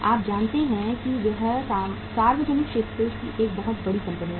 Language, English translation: Hindi, You know this is a very big company in the public sector